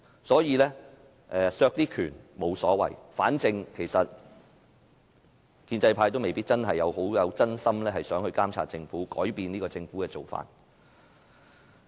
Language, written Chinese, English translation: Cantonese, 所以，削去一些權力沒所謂，反正建制派未必真心希望監察政府和改變政府的做法。, Hence it is fine to take away some of the powers for the pro - establishment camp may not truly want to monitor the Government and change its practices